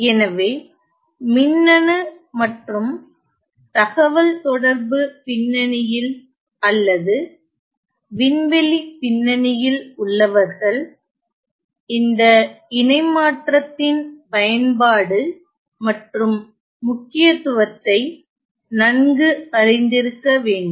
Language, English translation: Tamil, So, people specially in the electronics and communication background or in aerospace background they should be quite familiar with the utility and the importance of this transform